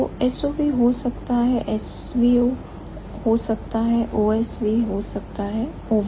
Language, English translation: Hindi, So, SOV could be S V O, could be OS be OVS